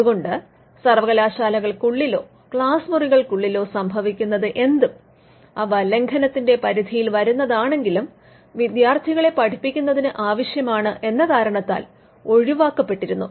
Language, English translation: Malayalam, So, whatever happened within the universities or in the classrooms though it may fall within the ambit of an infringement was excluded because, that was necessary for teaching students